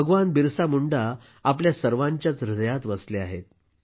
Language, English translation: Marathi, Bhagwan Birsa Munda dwells in the hearts of all of us